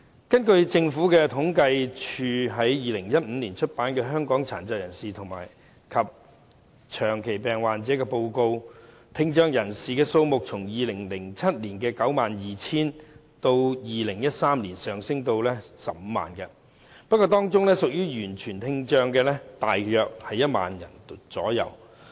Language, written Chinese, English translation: Cantonese, 根據政府統計處於2015年出版的《香港的殘疾人士及長期病患者》報告，聽障人士數目自2007年的 92,000 人，上升至2013年的 150,000 人，不過，當中屬於完全聽障的大約只有 10,000 人。, According to the feature article entitled Persons with Disabilities and Chronic Diseases in Hong Kong released in 2015 by the Census and Statistics Department the number of people with hearing impairment increased from 92 000 in 2007 to 150 000 in 2013 . But only around 10 000 of these people have profound hearing loss